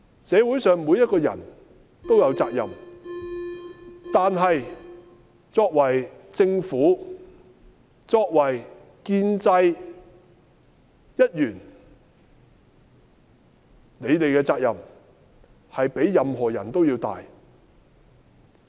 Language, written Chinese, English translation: Cantonese, 社會上每一個人都有責任，但是作為政府，作為建制一員，你們的責任較任何人都要大。, Everyone in society has his or her responsibility but the Government and members of the pro - establishment camp carry a heavier responsibility than others